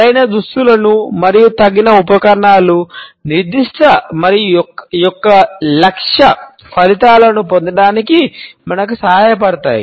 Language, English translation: Telugu, Correct outfit and appropriate accessories help us to elicit specific and targeted results